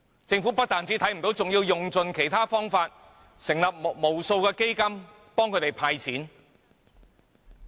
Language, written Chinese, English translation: Cantonese, 政府不但看不見，還要用盡方法成立無數基金協助他們"派錢"。, The Government has not only turned a blind eye to these but has also made vigorous attempts to set up numerous funds to facilitate them in handing out money